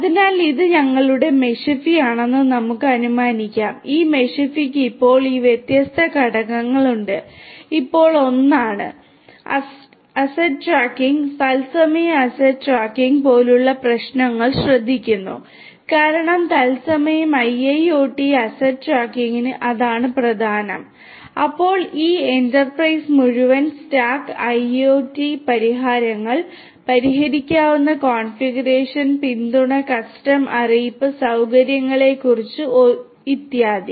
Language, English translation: Malayalam, So, let us assume that this is our Meshify, this Meshify has these different components Now; Now is 1, which takes care of issues such as asset tracking, asset tracking in real time because that is what is important for IIoT asset tracking in real time, then this Enterprise; this Enterprise talks about full stack IoT solutions, fixable configuration support custom notification facilities and so on